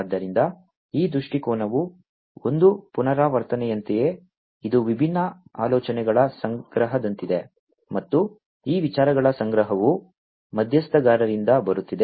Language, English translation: Kannada, So, just as a recap this viewpoint is something, which is like a collection of different ideas and this collection of ideas are coming from the stakeholders